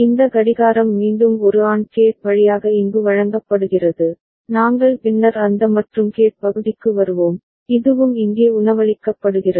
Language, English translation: Tamil, This clock is again fed here through an AND gate, we’ll come to that AND gate part later, and this is also fed here